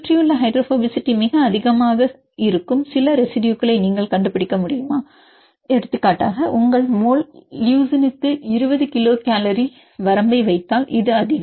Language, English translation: Tamil, Can you find some of the residues which are very high in surrounding hydrophobicity, for example, if you put your range of 20 kilo cal per mole LEU this is more